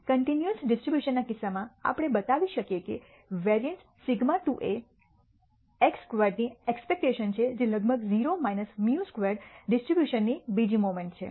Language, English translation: Gujarati, In the case of a continuous distribution we can show that the variance sigma squared is expectation of x squared which is the second moment of the distribution about 0 minus mu squared